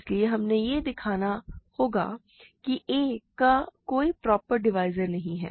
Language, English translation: Hindi, So, we have to show that a has no proper divisors